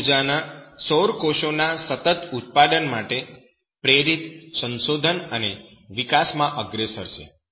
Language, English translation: Gujarati, W Fraser Russell is a leader in motivated research and development for the continuous production of solar cells